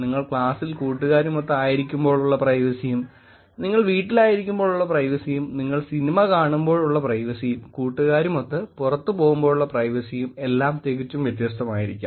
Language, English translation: Malayalam, Your privacy in class that you are sitting with your friends and privacy that you have at home, the privacy that you have while you are watching movie, privacy that when you are going out with friends is very, very different